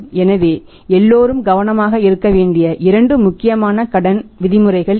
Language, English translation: Tamil, So, these are the two important credit terms which everybody has to be careful about